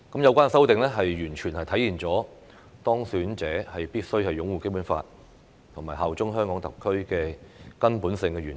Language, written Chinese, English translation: Cantonese, 有關修訂完全體現當選者必須擁護《基本法》、效忠香港特區的根本性原則。, The amendments fully embody the fundamental principle that the elected person must uphold the Basic Law and bear allegiance to HKSAR